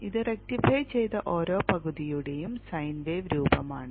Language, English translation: Malayalam, This is the sign wave shape of each rectified half